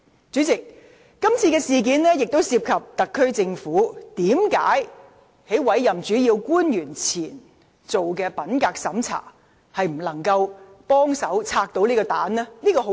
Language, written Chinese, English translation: Cantonese, 主席，今次事件亦涉及一個問題：特區政府在委任主要官員前已進行品格審查，為何仍未能拆除這個炸彈？, President the incident has also given rise to a question Why has the SAR Government failed to defuse this bomb despite its pre - appointment integrity check on principal officials?